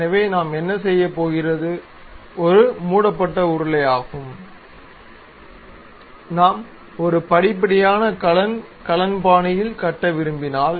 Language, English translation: Tamil, So, what we are going to do is a close cylinder if we want to construct in a stepped way cane, cane style